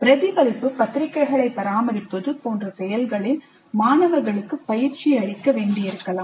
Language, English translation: Tamil, Students may need to be trained in activities like maintaining reflective journals